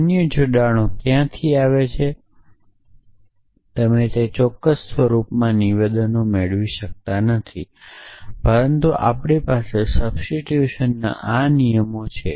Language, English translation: Gujarati, So, where do the other connectives come from well you cannot derive statements in those exact form, but we have this rules of substitution essentially